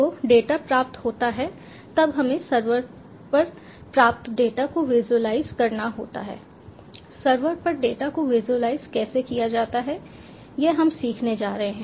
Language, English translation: Hindi, then we have to visualize the data is received at the server, at the server, how to visualize the data